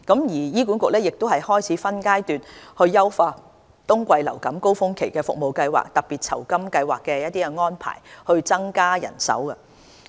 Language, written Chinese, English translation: Cantonese, 醫管局亦已開始分階段優化冬季服務高峰期的特別酬金計劃的安排，以增加人手。, Besides HA has enhanced the arrangement of Special Honorarium Scheme of winter surge by phases to strengthen its manpower